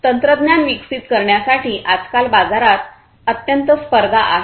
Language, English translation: Marathi, In order to evolve our technologies, the market is highly competitive nowadays